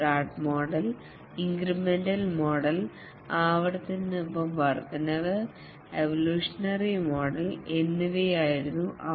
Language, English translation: Malayalam, These were the rad model, the incremental model, incremental with iteration and the evolutionary model